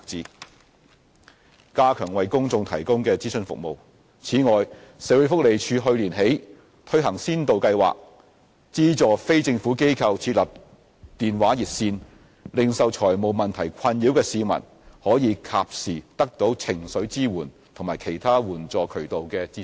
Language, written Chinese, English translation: Cantonese, c 加強為公眾提供的諮詢服務此外，社會福利署去年起推行先導計劃，資助非政府機構設立電話熱線，令受財務問題困擾的市民可以及時得到情緒支援和其他援助渠道的資訊。, c Enhanced advisory services to the public Moreover the Social Welfare Department launched a pilot programme last year to fund non - governmental organizations in providing telephone hotlines so that individuals distressed by financial problems can have timely access to emotional support and information on other channels for seeking assistance